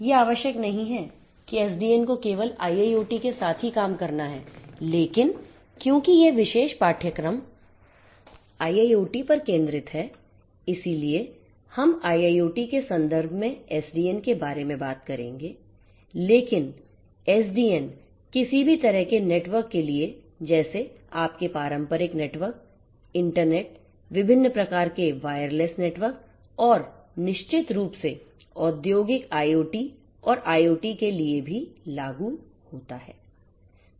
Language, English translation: Hindi, It is not necessary that SDN has to work only with IIoT, but because this particular course focuses on IIoT we are going to talk about SDN in the context of IIoT, but SDN applies for any kind of networks and also for networks such as your traditional internet, other different types of wireless networks and definitely for industrial IoT and IoT in general